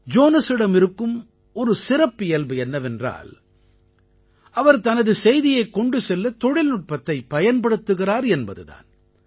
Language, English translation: Tamil, Jonas has another specialty he is using technology to propagate his message